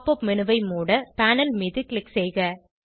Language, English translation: Tamil, Click on the panel to exit the Pop up menu